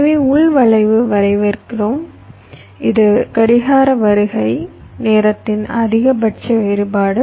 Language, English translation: Tamil, so local skew we define like this: this is the maximum difference in the clock, clock arrival time